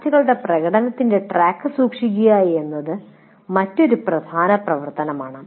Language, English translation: Malayalam, And another major activity is to keep track of students' performance